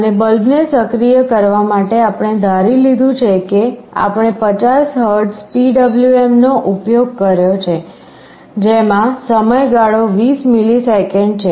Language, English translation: Gujarati, And for activating the bulb we have assumed that, we have using 50 Hertz PWM, with time period 20 milliseconds